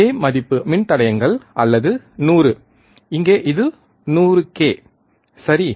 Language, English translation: Tamil, Same value of resistors or 100, here it is 100 k, right